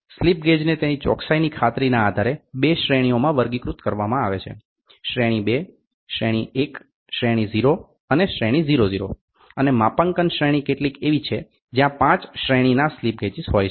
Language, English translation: Gujarati, The slip gauges are classified into grades depending on their guaranteed accuracy Grade 2, Grade 1, Grade 0, Grade 00 and Calibration Grade are some of the where the 5 grade of slip gauges